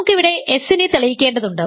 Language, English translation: Malayalam, So, we want to prove here is s